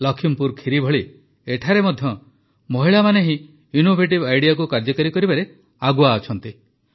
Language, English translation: Odia, Like Lakhimpur Kheri, here too, women are leading this innovative idea